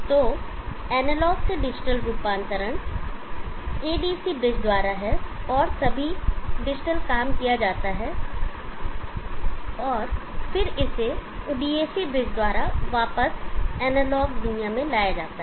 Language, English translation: Hindi, So analog to digital conversion is by the ADC bridge and all the digital work is done and then it is brought back into the analog world by the dam bridge